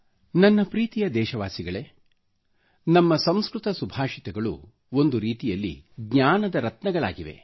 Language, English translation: Kannada, My dear countrymen, our Sanskrit Subhashit, epigrammatic verses are, in a way, gems of wisdom